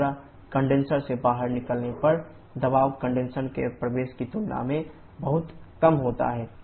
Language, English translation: Hindi, Similarly the pressure at the exit of the condenser maybe much lower than at the entry to the condenser